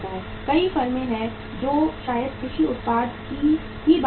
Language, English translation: Hindi, There are many firms who maybe the agricultural product itself we talk about